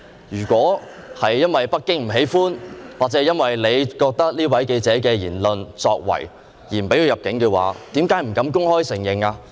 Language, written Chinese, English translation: Cantonese, 如果是由於北京不喜歡，或你基於這位記者的言論或作為而不准他入境的話，為甚麼不敢公開承認呢？, If the reason for not allowing this journalist entry into Hong Kong is Beijings dislike of it or it is based on his views or acts why do you dare not admit it publicly?